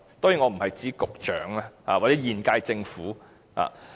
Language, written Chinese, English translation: Cantonese, 當然，我不是指局長或現屆政府。, Of course I am not referring to the Secretary or the current - term Government